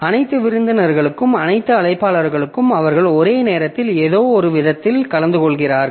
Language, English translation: Tamil, So, all the hosts, all the invitees so they are attended to in some sense concurrently